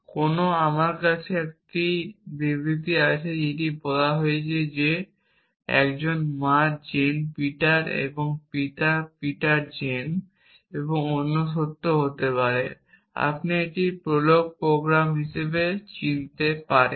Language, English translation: Bengali, Somewhere I would have a statement saying a mother Jane Peter for example, and father Peter Jane and may be other fact also, you recognize this as a prolog programme